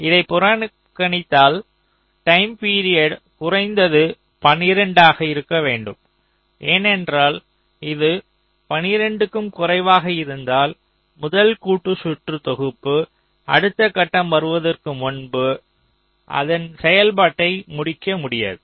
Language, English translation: Tamil, ok, so, ignoring this, the time period should be at least twelve, because if it is less than twelve, then this first set of combination circuit will not finish its separation before the next stage comes